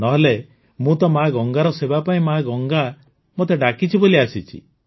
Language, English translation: Odia, Otherwise, we have been called by Mother Ganga to serve Mother Ganga, that's all, nothing else